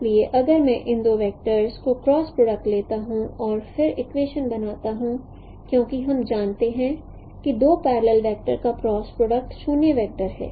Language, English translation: Hindi, So if I take the cross product of these two vectors and then form the equation because we know the cross product of two parallel vector is a zero vector